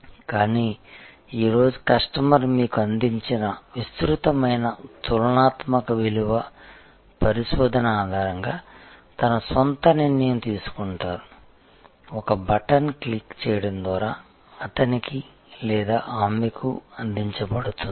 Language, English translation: Telugu, But, today the customer will make his or her own decision based on an extensive comparative value research presented to you, presented to him or her at the click of a button